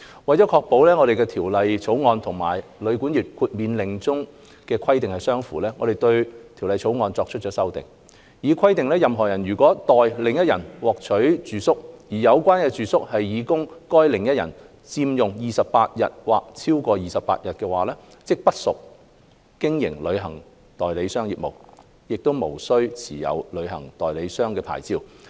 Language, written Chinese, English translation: Cantonese, 為確保《條例草案》和《旅館業令》中的規定相符，我們對《條例草案》作出了修訂，以規定任何人如代另一人獲取住宿，而有關住宿是擬供該另一人佔用28天或超過28天，即不屬經營旅行代理商業務，無須持有旅行代理商牌照。, In order to dovetail the Bill with the stipulation in the Hotel and Guesthouse Accommodation Exclusion Order we have proposed to amend the Bill by providing that a person does not carry on travel agent business and is not required to obtain a travel agent licence if the accommodation that heshe obtains for the other person is intended to be occupied by that other person for 28 or more days